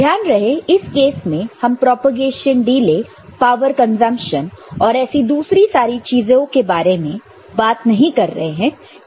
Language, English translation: Hindi, Remember, in this case, we are not talking about the propagation delay, power consumption and all those things